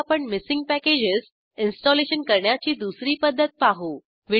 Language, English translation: Marathi, Now let us see the second method of installing missing packages